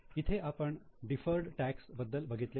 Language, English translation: Marathi, Here we had seen deferred tax